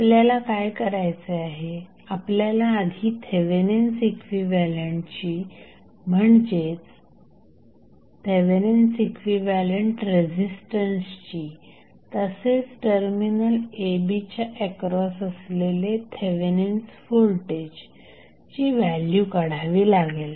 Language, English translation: Marathi, So, what we have to do we have to first find the value of Thevenin equivalent that is Thevenin equivalent resistance as well as Thevenin voltage across the terminal AB